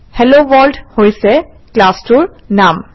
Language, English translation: Assamese, HelloWorld is the name of the class